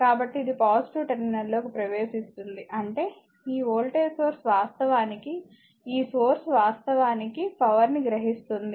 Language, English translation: Telugu, So, as it is entering into a positive terminal means this voltage source actually this source actually is absorbing this absorbing power